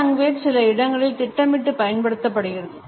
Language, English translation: Tamil, Paralanguage can be used intentionally also